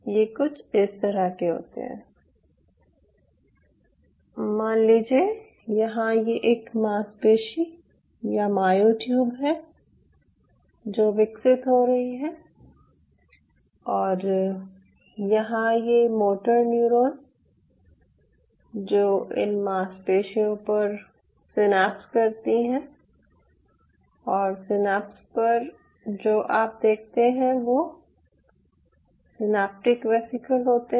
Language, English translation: Hindi, so the way it is something like this: say, for example, here you have a muscle, sorry, here you have a muscle or a myotube growing like this, and here your motor neuron which synapse on this muscle and at the synapse what you observe are the synaptic vesicle